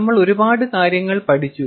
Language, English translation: Malayalam, we have studied a lot of things